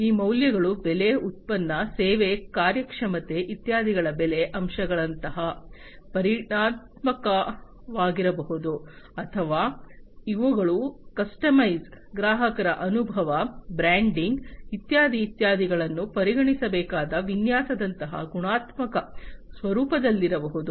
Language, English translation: Kannada, These values could be quantitative such as the price aspects of price, product, service performance, etcetera or these could be qualitative in nature such as the design that has to be considered the customization, the customer experience, the branding, etcetera etcetera